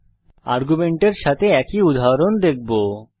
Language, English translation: Bengali, Let us see the same example with arguments